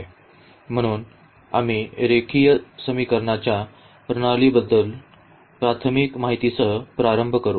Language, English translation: Marathi, So, we will start with a very basic Introduction to the System of Linear Equations